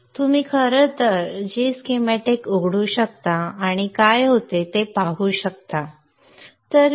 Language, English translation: Marathi, You can in fact open G Schematics and see what happens, what pops it